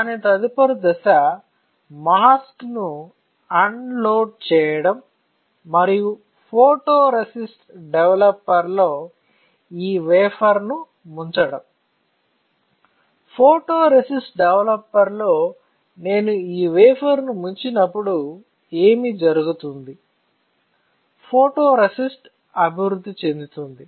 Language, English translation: Telugu, When I expose its next step would be to unload the mask and perform for and dip this wafer in photoresist developer; when I dip this wafer in photoresist developer what will happen, the photoresist will get developed